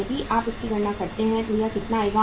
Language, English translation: Hindi, So if you take this cost how much is this